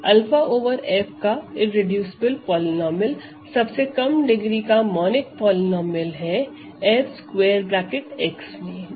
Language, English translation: Hindi, The irreducible polynomial of alpha over F is the least degree monic polynomial F x in capital F x which as alpha as a root